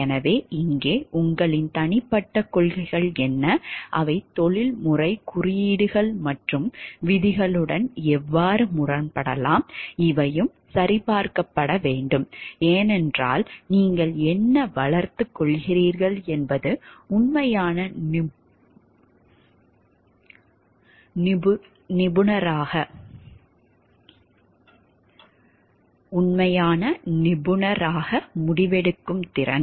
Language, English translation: Tamil, So, here also what are your personal principles and how they may contradict with a professional codes and rules, these also needs to be checked because what you are developing in yourself is a competency for decision making as a like true professional